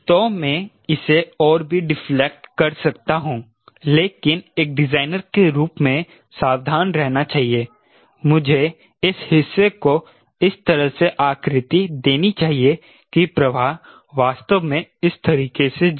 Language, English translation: Hindi, so i can deflect it further, right, but be careful, as a designer i should contour this portion in such a way that the flow really goes like this